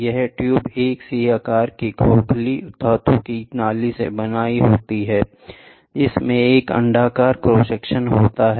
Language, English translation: Hindi, This tube is composed of a C shaped hollow metal tube, having an elliptical cross section